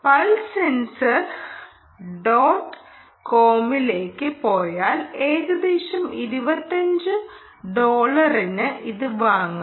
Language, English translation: Malayalam, if you go to pulse sensor dot com, you can by this at roughly twenty five dollars